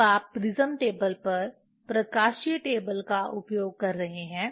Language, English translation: Hindi, When you are using optical table on the prism table